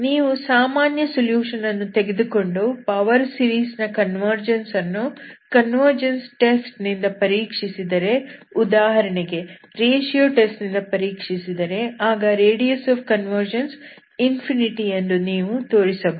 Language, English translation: Kannada, This so you can actually show that, if you work with the general equation, you can see that what you get the power series by looking at its convergence from the convergent test, for example ratio test, you can actually show that, you will get the radius of convergence will be full infinity